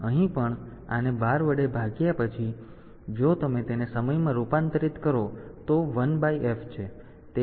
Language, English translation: Gujarati, So, this divided by 12 and then if you convert it into time